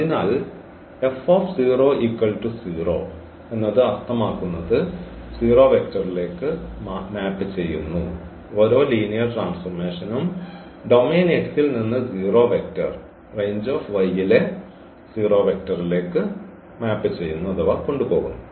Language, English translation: Malayalam, So, here F 0 so; that means, that every linear map takes the 0 vector from this domain X to the 0 vector in this range Y